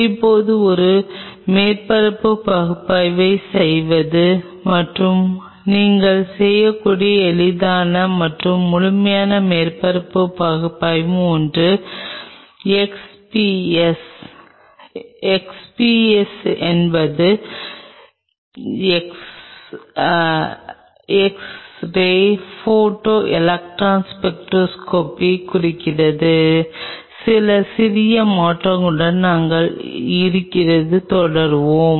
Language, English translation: Tamil, Now, doing a surface analysis and one of the easiest and most thorough surface analyses what you can do is XPS XPS stands for x RAY Photo Electron Spectroscopy with few slight changes we will continue from here